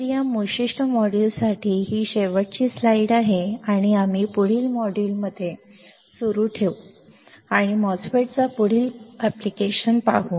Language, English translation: Marathi, So, this is the last slide for this particular module and we will continue in the next module and see the further application of the MOSFET